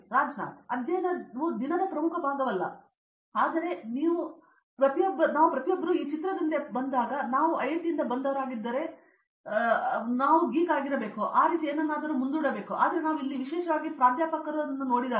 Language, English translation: Kannada, Study is not like a major part of the day, but here when we came here everyone this picture like, haan you are from IIT you should be a geek, nerd something like that, but when we came here especially the professors